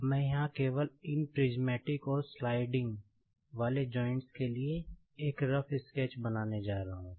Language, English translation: Hindi, Now, here I am just going to draw a rough sketch for these prismatic and sliding joints